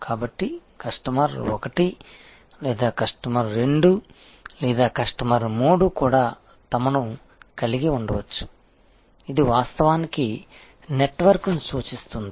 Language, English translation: Telugu, So, therefore, the customer 1 or customer 2 or customer 3 themselves may also have, it actually represents a network